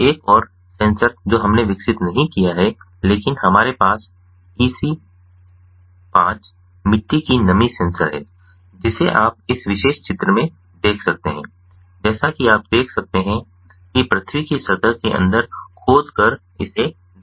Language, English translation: Hindi, so another sensor which we did not develop but we have procure, is the ec zero five soil moisture sensor which, in this particular figure, as you can see, in this particular picture, as you can see, has been put ah